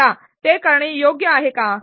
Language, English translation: Marathi, Now, is that the right thing to do